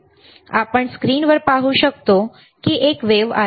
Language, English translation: Marathi, Right now, we can see on the screen there is a sine wave